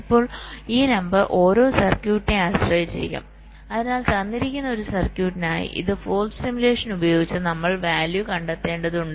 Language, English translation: Malayalam, now this number will depend ah, vary from circuit to circuit, so for a given circuit, so this using for simulation, we will have to find out the value right